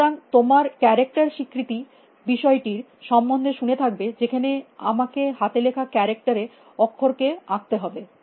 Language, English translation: Bengali, So, you must have heard about fact that character recognition if I were to draw the letter a on a hand written characters